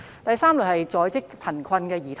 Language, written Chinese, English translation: Cantonese, 第三類是在職貧困兒童。, The third category is children from working households